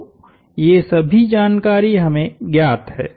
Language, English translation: Hindi, So, these are all information we know